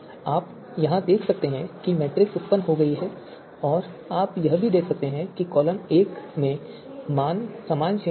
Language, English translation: Hindi, So you can see here the matrix has been generated and you can also see that across column one across along the column one the values are in similar range